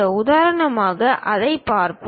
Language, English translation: Tamil, For example, let us look at this